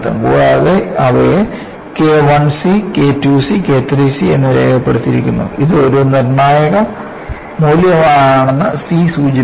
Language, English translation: Malayalam, And, they are labeled as K I c, K II c and K III c; the c denotes it is a critical value